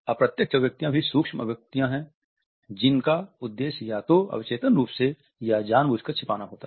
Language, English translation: Hindi, Masked expressions are also micro expressions that are intended to be hidden either subconsciously or consciously